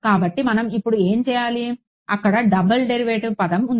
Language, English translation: Telugu, So, what do we do now, there is a double derivative term over there right